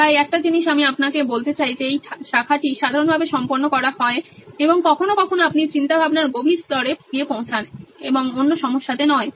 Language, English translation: Bengali, So one thing I would like to tell you is that this branching is common it’s done and sometimes you reach levels deeper in one line of thinking and not in another problem